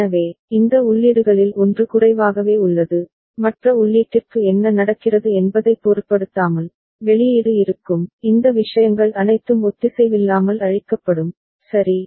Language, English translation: Tamil, So, one of these inputs is remaining low, irrespective of what is happening to the other input, the output will be, all this things will be asynchronously cleared, right